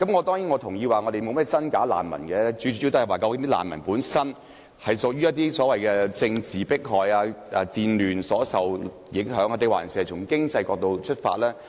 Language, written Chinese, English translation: Cantonese, 當然，我同意難民沒有甚麼真假之分，最主要是視乎他們是受到政治迫害、戰亂影響，還是從經濟角度出發。, But a line must somehow be drawn . I agree that refugees should be classified into genuine and bogus ones . We should mainly consider whether they are affected by political persecution and war and whether they are driven by economic motives